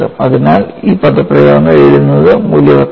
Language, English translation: Malayalam, So, it is worth writing this expression